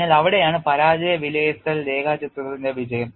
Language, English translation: Malayalam, So, that is where the success of failure assessment diagrams